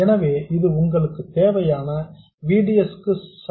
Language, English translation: Tamil, So, this is equal to whatever VDS you need